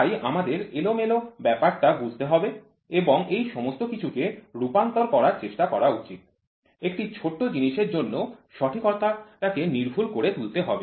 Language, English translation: Bengali, So, we are supposed to understand the randomness and try to convert all this; the accurate one into precision for a smaller thing